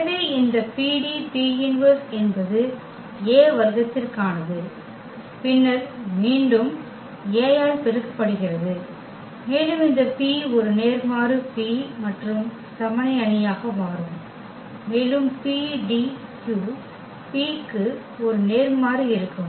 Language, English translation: Tamil, So, this PD square P inverse that is for A square and then again multiplied by A and this P inverse P will again become the identity matrix and we will have PDQ P inverse